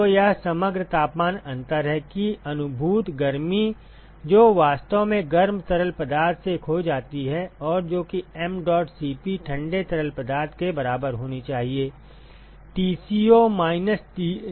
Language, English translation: Hindi, So, that is the overall temperature difference that the sensible heat that is actually lost by the hot fluid and, that should be equal to mdot Cp cold fluid into Tco minus dci